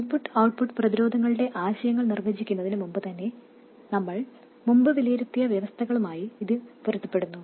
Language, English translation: Malayalam, And this is consistent with the conditions we had evaluated earlier even before we defined the concepts of input and output resistances